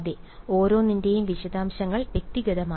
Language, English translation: Malayalam, Yeah, individually each of them details